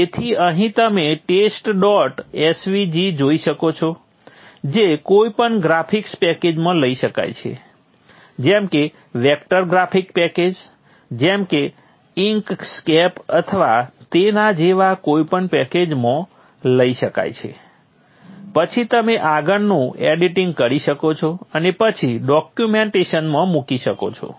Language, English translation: Gujarati, tv which can which which can be taken into any of the graphics package like vector graphics package like INScape or any such similar packages and you can do further editing and then put into the documentation